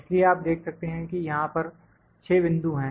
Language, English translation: Hindi, So, you can see that there are 6 points